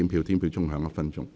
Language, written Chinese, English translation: Cantonese, 表決鐘會響1分鐘。, The division bell will ring for one minute